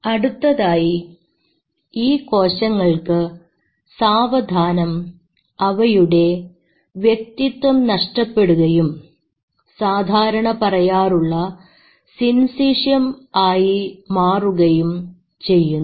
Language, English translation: Malayalam, These cells slowly lose their identity and they become what we call as synchium